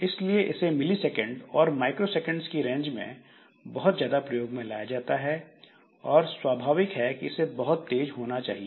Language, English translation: Hindi, So, this is invoked very frequently in the range of milliseconds or microseconds and naturally it must be very fast because that is an overhead that is coming